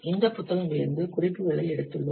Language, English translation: Tamil, We have taken the references from these books